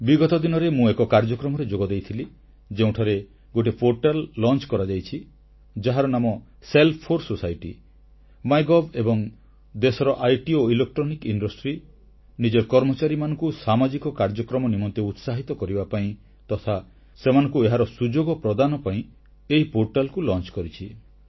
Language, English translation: Odia, Recently, I attended a programme where a portal was launched, its name is 'Self 4 Society', MyGov and the IT and Electronics industry of the country have launched this portal with a view to motivating their employees for social activities and providing them with opportunities to perform in this field